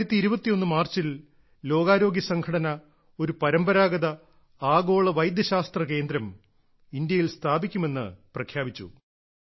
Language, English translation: Malayalam, In March 2021, WHO announced that a Global Centre for Traditional Medicine would be set up in India